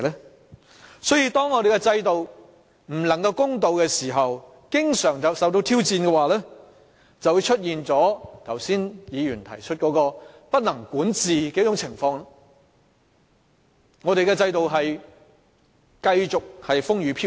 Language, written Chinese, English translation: Cantonese, 由此可見，當我們的制度不公平並經常受到挑戰的話，便會出現議員剛才所提及的不能管治的情況，我們的制度便會繼續受到動搖。, This informs us that when our system is frequently challenged due to its unfairness the governance problems mentioned by some Members just now will arise and upset our system